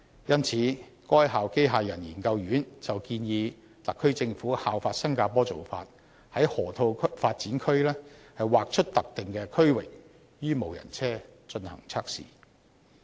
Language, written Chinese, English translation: Cantonese, 因此，該校機械人研究院建議特區政府效法新加坡的做法，在河套發展區劃出特定區域予無人車進行測試。, Thus the HKUST Robotics Institute suggested the SAR Government follow the practice of Singapore and designate an area in the Lok Ma Chau Loop for testing the driverless vehicle